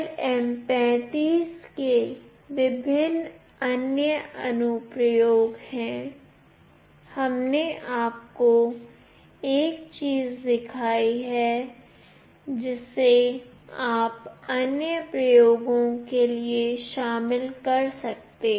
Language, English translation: Hindi, There are various other application of LM35, we have shown you one thing, which you can incorporate and do it for other experiments